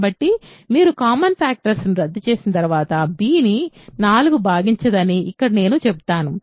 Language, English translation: Telugu, So, here I will say 4 does not divide b after you cancel common factors